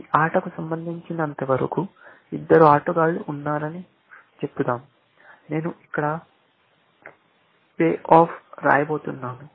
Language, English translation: Telugu, Let us say, there are two players as far as this game is concerned, and I am going to write the pay offs here